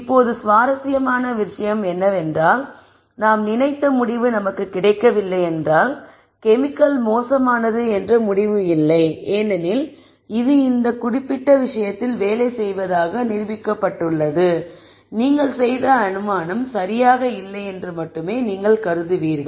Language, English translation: Tamil, Now, the interesting thing is if it does not for us then the conclusion is not that the chemical is bad because that is been provably shown to work for this particular case, you would only assume that the assumption that you made is not right